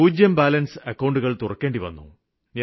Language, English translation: Malayalam, They had to open zero balance accounts